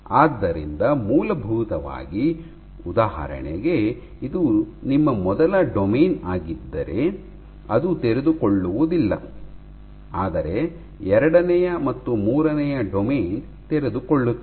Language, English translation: Kannada, So, in essence if for example if this is your first domain your first domain will not unfold, but second and third will